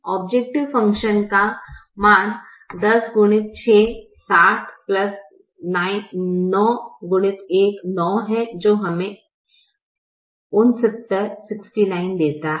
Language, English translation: Hindi, the value of the objective function is ten into six